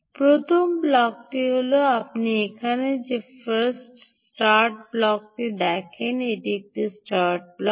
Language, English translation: Bengali, the first block, indeed, is the start block, which you see here